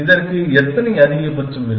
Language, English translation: Tamil, How many maxima will this have